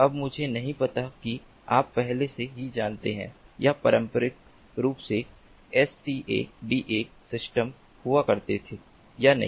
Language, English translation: Hindi, now, i do not know whether you are already aware of or not traditionally there used to be the scada systems